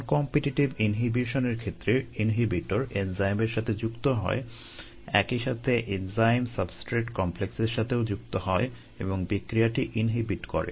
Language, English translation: Bengali, in the non competitive inhibition, the inhibitor binds to the enzyme as well as the enzyme substrate complex and individual reaction